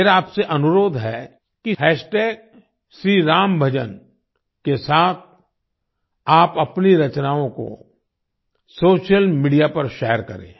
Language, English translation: Hindi, I request you to share your creations on social media with the hashtag Shri Ram Bhajan shriRamBhajan